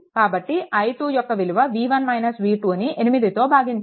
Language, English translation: Telugu, So, it is v 1 minus v 2 divided by 8 this is i 2, right